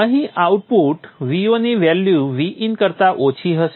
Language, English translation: Gujarati, Here the output voltage V0 will have a value less than that of VIN